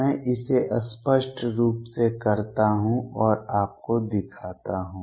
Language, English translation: Hindi, Let me do this explicitly and show it to you